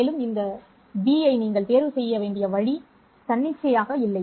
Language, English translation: Tamil, Furthermore, the way in which you have to choose this B is not arbitrary